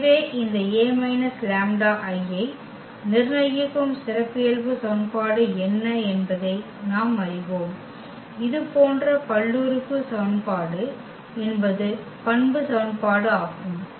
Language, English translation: Tamil, So, we know what is the characteristic equation that is the determinant of this A minus lambda I; meaning this such polynomial equation is the characteristic equation